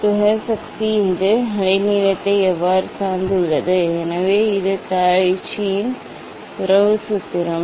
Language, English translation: Tamil, dispersive power how it depends on the wavelength, so this is the Cauchy s relation formula